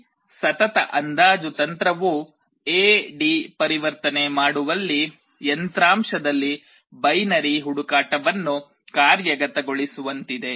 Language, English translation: Kannada, This successive approximation technique is like implementing binary search in hardware in performing the A/D conversion